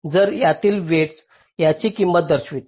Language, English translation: Marathi, so the weight between them will indicate the cost of this